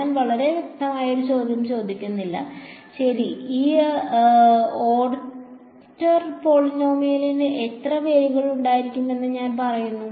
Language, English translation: Malayalam, I am not asking a very specific question ok, I am just saying how many roots will there be of this Nth order polynomial